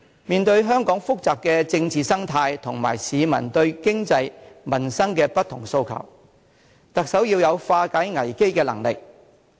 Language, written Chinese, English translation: Cantonese, 面對香港複雜的政治生態及市民對經濟、民生的不同訴求，特首要有化解危機的能力。, Given the complicated political ecology in Hong Kong and peoples economic and livelihood aspirations the Chief Executive must have the ability to resolve crises